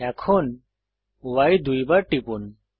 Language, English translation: Bengali, Press X twice